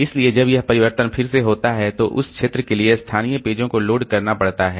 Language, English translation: Hindi, So when this change over occurs again the local pages for that region has to be loaded